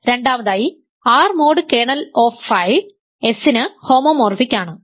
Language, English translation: Malayalam, Second is that R mod kernel of phi is isomorphic to S ok